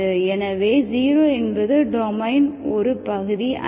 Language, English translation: Tamil, So 0 is not part of the domain, okay